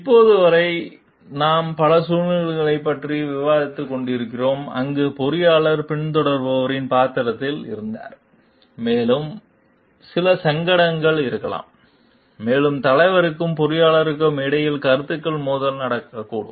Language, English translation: Tamil, Till now, we were discussing many situations, where the engineer was in the followers role and he there maybe there are certain dilemmas, and maybe conflicts of opinions happening between the leader and the engineer